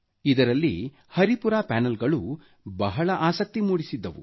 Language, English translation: Kannada, Of special interest were the Haripura Panels